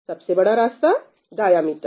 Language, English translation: Hindi, And what will be the diameter